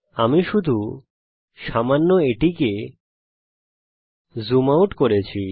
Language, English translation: Bengali, I just zoomed it out a little bit